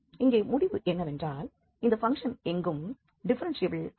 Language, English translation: Tamil, So, here the conclusion is that this function is nowhere differentiable, the function is not differentiable at any point